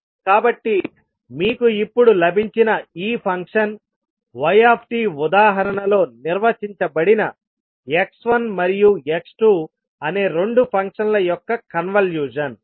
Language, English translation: Telugu, So this function which you have now got y t, is the convolution of two functions x one and x two which were defined in the example